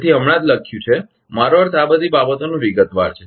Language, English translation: Gujarati, So, just written I mean all this thing in detail